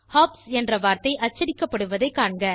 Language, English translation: Tamil, You will notice that the word hops get printed